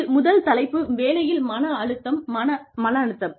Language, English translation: Tamil, The first topic in this, is work stress